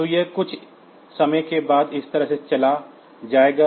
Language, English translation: Hindi, So, it will go like this then after some time